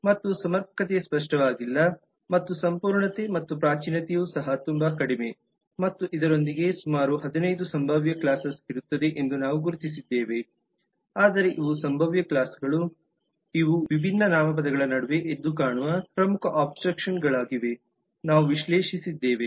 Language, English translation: Kannada, and sufficiency is not clear and completeness and primitiveness is also very low and with that we identified about 15 potential classes there would be more, but these are the potential classes, these are the key abstractions which stood out from amongst the different nouns that we had analyzed